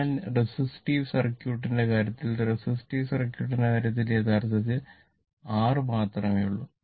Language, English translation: Malayalam, So, so it can be in the case of what you call resistive circuit, in the case of resistive circuit, this one actually only R is there